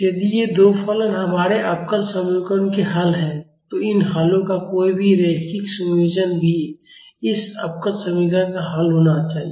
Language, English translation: Hindi, If these two functions are the solution of our differential equations, any linear combinations of these solutions should also be a solution of this differential equation